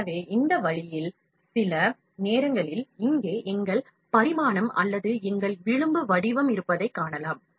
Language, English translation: Tamil, So, in this way, sometimes we find that our dimension here or our profile shape is important